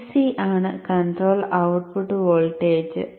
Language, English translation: Malayalam, VC is the control output voltage